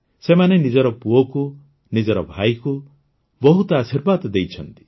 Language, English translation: Odia, They have given many blessings to their son, their brother